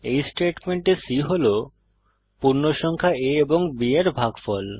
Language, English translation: Bengali, In these statements, c holds the value of integer division of a by b